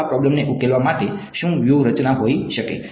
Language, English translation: Gujarati, So, what can be a strategy to solve this problem